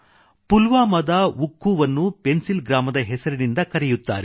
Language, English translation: Kannada, In Pulwama, Oukhoo is known as the Pencil Village